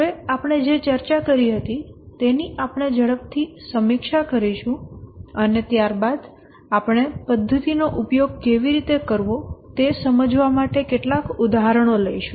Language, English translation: Gujarati, Now we will quickly review what we discussed in a minute and then we will take some examples to illustrate how to use the methodology